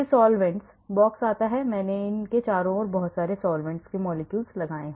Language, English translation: Hindi, then comes solvents box I put in a lot of solvents around it